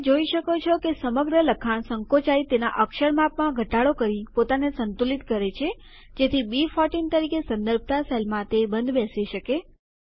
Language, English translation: Gujarati, You see that the entire text shrinks and adjusts itself by decreasing its font size so that the text fits into the cell referenced as B14